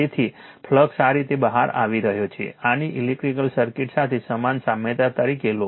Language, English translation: Gujarati, So, flux is coming out this way you take this is analogous analogy to electric circuit right